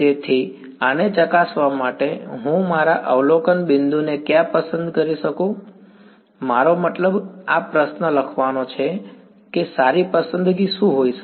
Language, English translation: Gujarati, So, where can I choose my observation point to test this I mean to write this question what can be a good choice